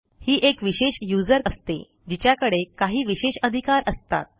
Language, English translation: Marathi, He is a special user with extra privileges